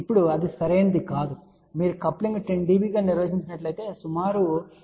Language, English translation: Telugu, Now that is not correct actually if you define coupling as 10 db then approximately 0